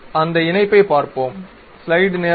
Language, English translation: Tamil, So, let us look at that link ok